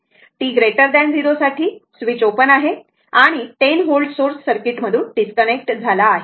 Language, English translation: Marathi, For t greater than 0, the switch is open and the 10 volt source is disconnected from the circuit